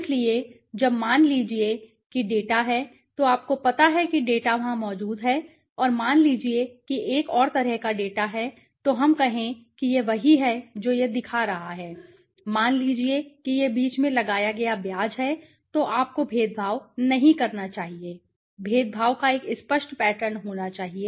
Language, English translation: Hindi, Similarly when data in suppose this is you know like the data is there and suppose another kind of data is let us say this is what it is showing right, suppose it is interest imposed in between so then you cannot discriminate there has to be a clear pattern of discrimination